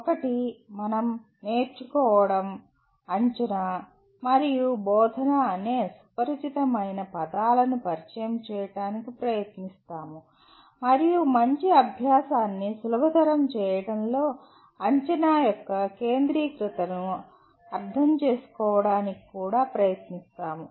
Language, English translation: Telugu, One is again we try to get introduced to the familiar words, “learning”, “assessment” and “instruction” and also try to understand the centrality of assessment in facilitating “good learning”